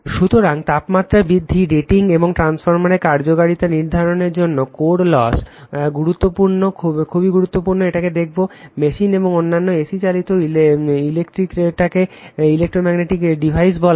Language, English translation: Bengali, So, core loss is important in determining temperature rise, rating and efficiency of transformer, we will see that right, machines and other your AC operated electro your what you call AC operated in electromagnetic devices